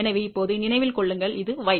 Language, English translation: Tamil, So, remember now, this is y